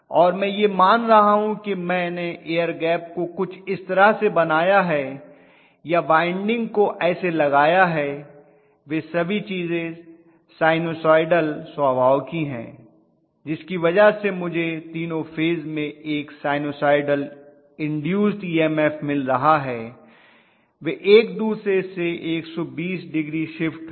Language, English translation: Hindi, And I am assuming that the air gap I have shaped or windings I have placed and all those things are sinusoidal in nature because of which I am going to have a sinusoidal induced EMF in all the three phases, they are shifted from each other by 120 degrees that is about it